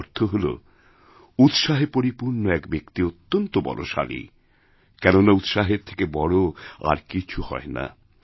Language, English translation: Bengali, This means that a man full of enthusiasm is very strong since there is nothing more powerful than zest